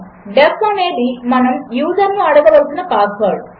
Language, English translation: Telugu, def is the password we want to ask the user for